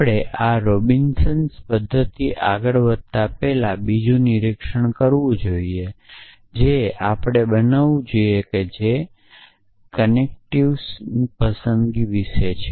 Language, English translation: Gujarati, Before we go on to this Robinsons method, there is another observation that we must make which is about the choice of connectives